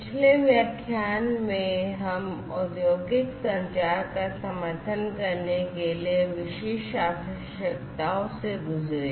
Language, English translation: Hindi, In the previous lecture, we have gone through the specific requirements for supporting industrial communication